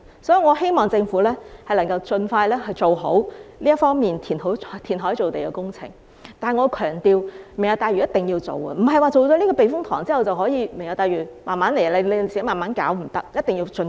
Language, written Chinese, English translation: Cantonese, 所以，我希望政府能夠盡快做好填海造地方面的工程，但我要強調，"明日大嶼"一定要進行，而不是說做了觀塘避風塘填海工程，"明日大嶼"便可以慢慢來，這是不可以的，一定要盡快。, Therefore I hope the Government can carry out reclamation works expeditiously . But I have to emphasize that we must proceed with the Lantau Tomorrow Vision . It does not mean that the Lantau Tomorrow Vision can be implemented at a slow pace as long as the KTTS reclamation works are to be taken forward